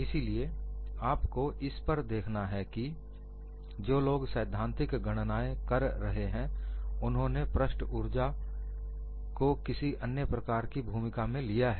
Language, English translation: Hindi, So, what you will have to look at is, people who are making theoretical calculation have already brought in, the role of surface energy in some other form